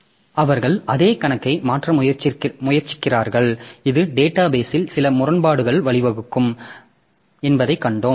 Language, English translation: Tamil, So, they are trying to modify the same account and as we have seen that this can lead to some inconsistency in the database